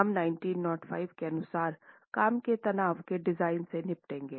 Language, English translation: Hindi, We will be dealing with the design, the working stress design as per 1905